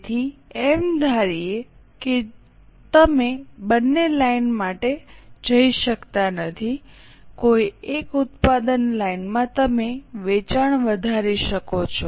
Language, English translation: Gujarati, So, assuming that you cannot go for both the lines, any one product line you can increase the sales